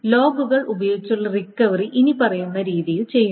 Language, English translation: Malayalam, So, the recovery using logs is done in the following manner